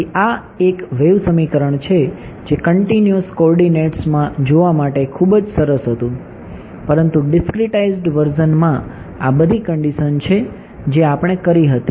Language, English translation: Gujarati, So, this is what are wave equation which was very nice to look at in continuous coordinates, but in the discretize version these are all the terms that we did right